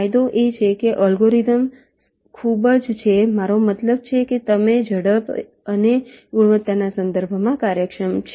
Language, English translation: Gujarati, the advantage is that the algorithms are very i mean say, efficient in terms of their speed and quality